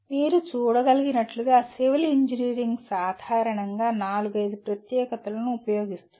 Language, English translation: Telugu, So as you can see civil engineering generally uses something like four to five specialties